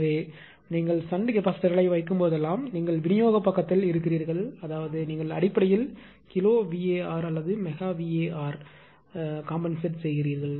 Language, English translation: Tamil, So, whenever whenever you are putting ah shunt capacitors you are on the distribution side that means, you are compositing basically kilowatt right or megawatt whatsoever